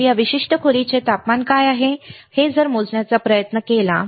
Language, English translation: Marathi, So, it will try to measure what is the temperature of the this particular room